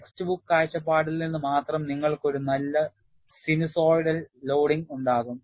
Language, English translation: Malayalam, Only from the text book point of view, you will have a nice sinusoidal loading